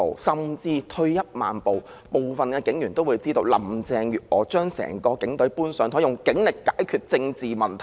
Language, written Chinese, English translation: Cantonese, 甚至退一萬步，部分警員也會知道林鄭月娥將整個警隊"搬上檯"，用警力解決政治問題。, Even at any rate some police officers are also aware that Carrie LAM would put the entire Police Force on the spot to resolve political problems with the strength of the Police